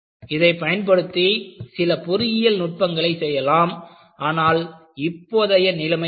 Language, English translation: Tamil, You could do some kind of an engineering based on this, but what is the situation now